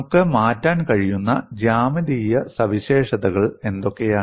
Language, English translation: Malayalam, And what are the geometric properties that we can change